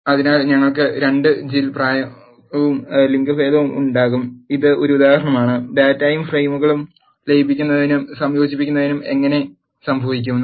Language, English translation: Malayalam, So, we will have 2 Jill age and the gender this is one example, how the merging and combining the data frames happens